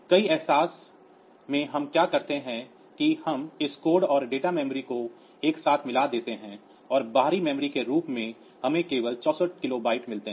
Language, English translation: Hindi, In many way realizations what we do is that we merge this code and data memory together and we get only 64 kilobyte as the external memory